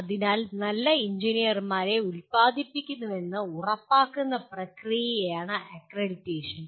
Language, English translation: Malayalam, So, accreditation is a process of ensuring that good engineers are being produced